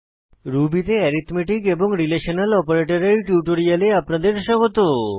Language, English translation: Bengali, Welcome to the Spoken Tutorial on Arithmetic Relational Operators in Ruby